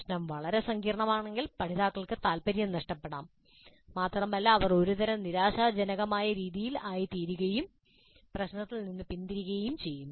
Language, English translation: Malayalam, The problem is too complex the learners may lose interest and they may become in a kind of disappointed mode turn away from the problem